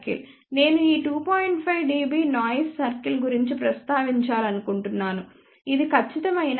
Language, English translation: Telugu, 5 dB noise circle is just a representation I am not telling that this is the exact 2